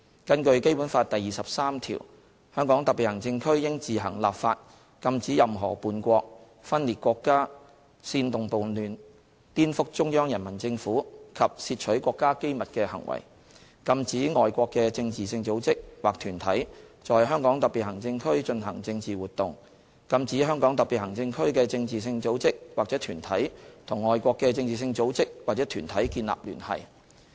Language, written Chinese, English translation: Cantonese, 根據《基本法》第二十三條，"香港特別行政區應自行立法禁止任何叛國、分裂國家、煽動叛亂、顛覆中央人民政府及竊取國家機密的行為，禁止外國的政治性組織或團體在香港特別行政區進行政治活動，禁止香港特別行政區的政治性組織或團體與外國的政治性組織或團體建立聯繫"。, According to Article 23 of the Basic Law [t]he Hong Kong Special Administrative Region shall enact laws on its own to prohibit any act of treason secession sedition subversion against the Central Peoples Government or theft of state secrets to prohibit foreign political organizations or bodies from conducting political activities in the Region and to prohibit political organizations or bodies of the Region from establishing ties with foreign political organizations or bodies